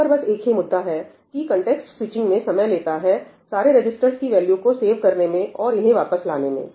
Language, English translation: Hindi, The only issue over here is – yes, it takes time to do the context switching, to save all those register values and then get back